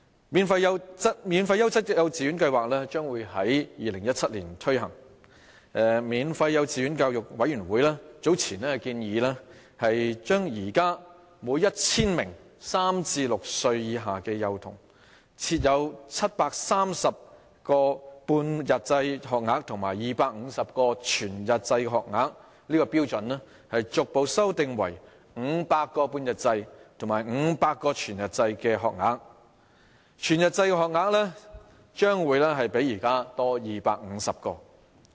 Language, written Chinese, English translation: Cantonese, "免費優質幼稚園教育計劃"將於2017年推行，免費幼稚園教育委員會早前建議將現時每 1,000 名3至6歲以下的幼童，設有730個半日制學額及250個全日制學額的標準，逐步修訂為500個半日制學額及500個全日制學額，全日制學額將會較現時多250個。, The Free Quality Kindergarten Education Scheme will be implemented in 2017 and the Committee on Free Kindergarten Education earlier proposed the gradual revision of the provision of kindergarten places from the present 730 half - day and 250 whole - day places to 500 half - day and 500 whole - day places for every 1 000 children aged between three and six . There will be an increase of 250 whole - day places as compared to now